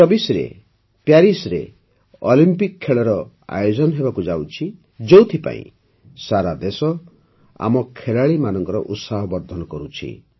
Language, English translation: Odia, Now Paris Olympics will be held in 2024, for which the whole country is encouraging her players